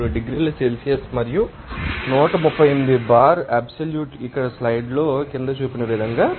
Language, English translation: Telugu, 33 degree Celsius and 138 bar absolute as shown in figure below here in the slide